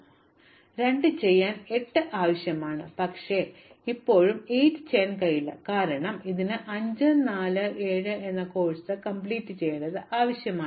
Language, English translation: Malayalam, I need to have done, 2 to do 8, but I still cannot do 8, because it also requires 5, 4 and 7